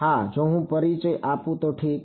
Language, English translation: Gujarati, Yeah so, if I introduce ok